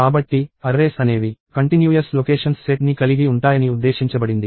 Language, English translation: Telugu, So, this is what I meant by arrays are going to have contiguous set of locations